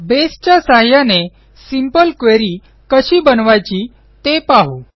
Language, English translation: Marathi, Let us see how we can create a simple query using Base